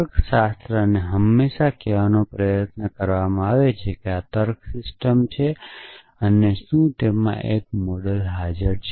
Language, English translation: Gujarati, Logics are always tried to say this is the logic system and does it have a model essentially